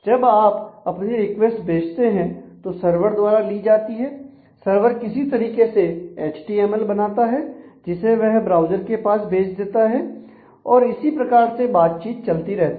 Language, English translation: Hindi, So, when you send a request this is received by the server; web server somehow computes a result HTML and that send back to the browser and that is how the interaction keeps on happening